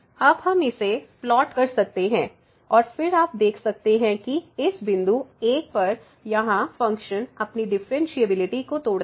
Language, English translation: Hindi, And we can plot this one and then again you can see that at this point 1 here the function breaks its differentiability